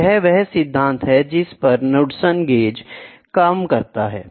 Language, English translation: Hindi, So, this is how Knudsen gauge works